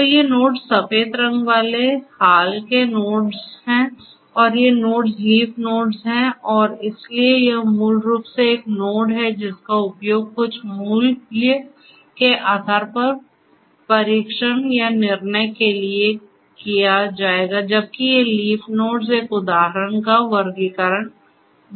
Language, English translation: Hindi, So, these nodes the white colored ones are the recent nodes and these nodes are the leaf nodes and so, this is a node basically will be used to test or decide the outcome based on some value of an attribute, whereas these leaf nodes will denote the classification of an example, right